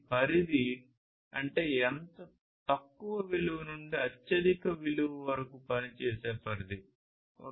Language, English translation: Telugu, Range means the range of operation lowest value to highest value